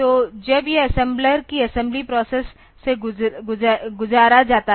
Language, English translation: Hindi, So, when this is passed through the assembly process the assembly process of the assembler